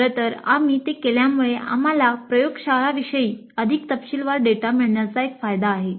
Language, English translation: Marathi, In fact if you do that we have the advantage that we can get more detailed data regarding the laboratories